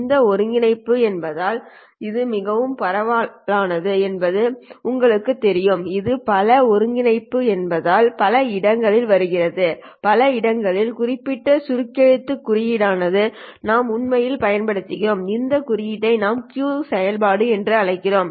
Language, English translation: Tamil, Because this integral is very popular, it comes up in many, many places, there is a specific shorthand notation that we actually use and this notation is what we call as the Q function